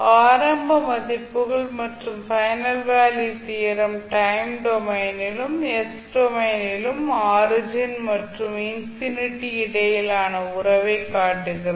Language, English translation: Tamil, Now initial values and final value theorems shows the relationship between origin and the infinity in the time domain as well as in the s domain